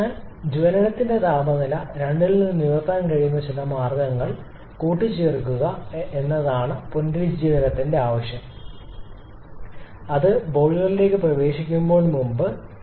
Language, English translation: Malayalam, So, the idea of regeneration is to add up some means where we can raise the temperature of water from 2 to 2 Prime before it enters the boiler